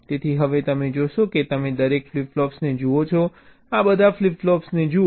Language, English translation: Gujarati, so now you see, you look at each of the flip flops, look at all the flip flops